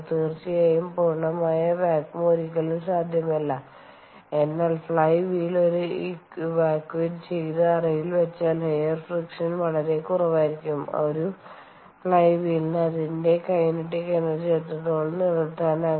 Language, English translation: Malayalam, of course, perfect vacuum is never possible, but we, once the flywheel is housed in a chamber which is evacuated so that air friction is very, very low, ok, how long can a flywheel retain its temp, retain its ah, kinetic energy